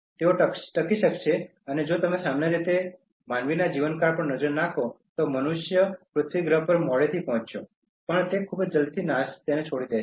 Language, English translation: Gujarati, So, they will be able to survive and if you look at the lifespan of human beings in general, human beings arrived late to the planet Earth and will leave it very soon